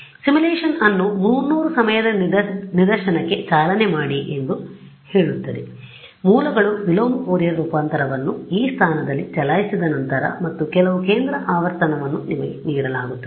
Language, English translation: Kannada, So, the simulation itself says that run your simulation for the 300 time instance at the end of it after sources get over run the inverse Fourier transform at this position and some centre frequency is given to you ok